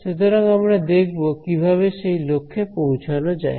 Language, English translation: Bengali, So, we will see how that objective is achieved over here